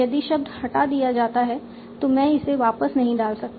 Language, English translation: Hindi, If a word is removed I cannot put it back